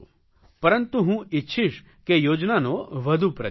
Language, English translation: Gujarati, But I want that this scheme is promoted more